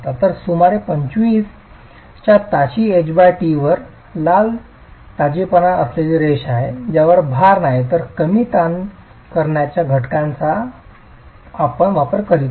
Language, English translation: Marathi, So at about 25, at H by T of 25, which is the red dotted line with no eccentricity of the load itself, you don't use a stress reduction factor